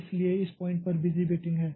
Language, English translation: Hindi, So, this is some sort of busy waiting